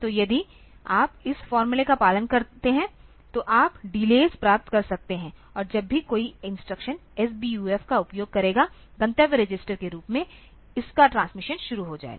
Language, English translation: Hindi, So, if you follow this formula then you can get the delays and whenever any instruction uses SBUF as its destination register transmission will start